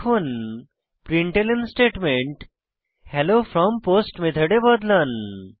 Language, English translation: Bengali, Now, change the println statement to Hello from POST Method